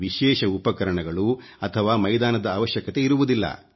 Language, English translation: Kannada, No special tools or fields are needed